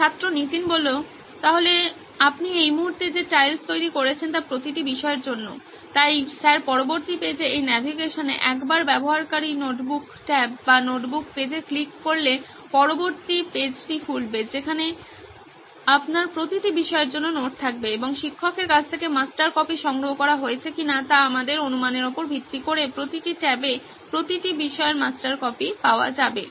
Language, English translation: Bengali, So the tiles that you are creating right now are the books for each subject right, so the next page sir, in this navigation would be once a user clicks on the notebook tab or the notebook page then subsequent page would open where you would have notes for each subject and the master copy whether it is collected from the teacher based on our assumption that master copy would be available for each subject in each of those tabs